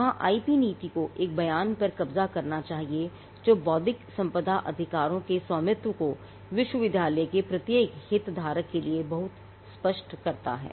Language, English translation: Hindi, So, there will be the IP policy should capture a statement which makes it very clear for every stakeholder in the university on ownership of intellectual property rights